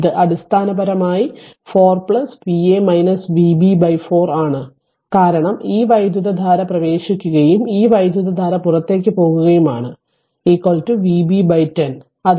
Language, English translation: Malayalam, So, it is basically 4 plus V a minus V b divided by 4, because this current is also entering and this current is leaving is equal to your V b by 10